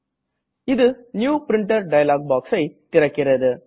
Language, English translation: Tamil, It will open the New Printer dialog box